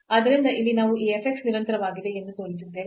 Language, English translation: Kannada, So, in this case this f x is not continuous